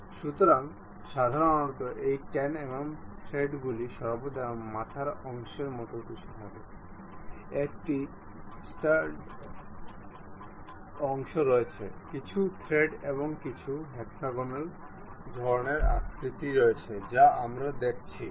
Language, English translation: Bengali, So, usually these 10 mm threads always be having something like a head portion, there is a stud portion, there are some threads some hexagonal kind of structures we will be having